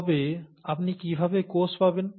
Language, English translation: Bengali, But then, how do you get to cells